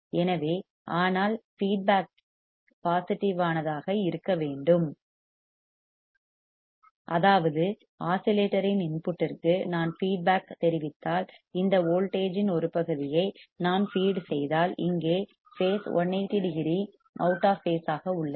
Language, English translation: Tamil, So, but the feedback must be positive right; that means, that if I feed part of this voltage if I feedback to the input of the oscillator, the phase here is 180 degree out of phase